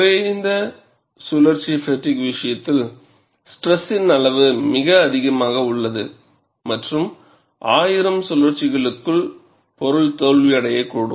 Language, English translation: Tamil, In the case of low cycle fatigue, the stress levels are very high, and within 1000 cycles the component may fail